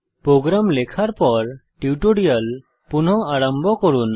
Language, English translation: Bengali, Resume the tutorial after typing the program